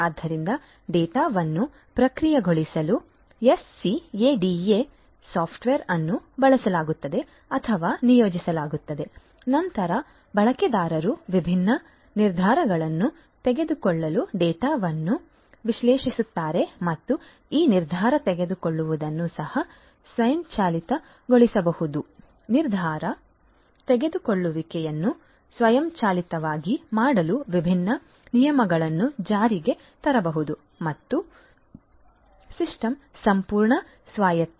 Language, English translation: Kannada, So, you know SCADA software are used or deployed in order to process the data, then the users analyze the data to make the different decisions and this decision making can also be automated different rules could be implemented in order to make the decision making automated and the system fully autonomous